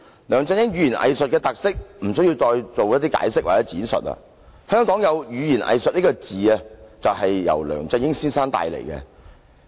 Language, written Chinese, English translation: Cantonese, 梁振英語言"偽術"的特色，無須我們多作解釋或闡述，香港有語言"偽術"一詞，其實也是梁振英帶出來的。, Regarding LEUNG Chun - yings hypocritical rhetoric we need not make further explanation or elaboration as the term hypocritical rhetoric is coined in Hong Kong thanks to LEUNG Chun - ying